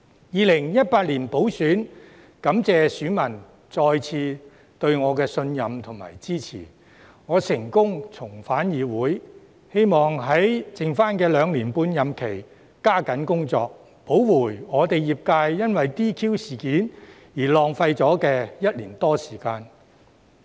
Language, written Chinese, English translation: Cantonese, 2018年補選，感謝選民再次對我的信任和支持，我成功重返議會，希望在餘下的兩年半任期加緊工作，補回我的業界因為 DQ 事件而浪費了的1年多時間。, In the by - election in 2018 I succeeded in getting back into the legislature thanks to my constituents who put their trust and support in me again . It was my hope that by working harder in the remaining two years and a half in the term I could make up for the one year or so which my sectors had wasted due to the disqualification incident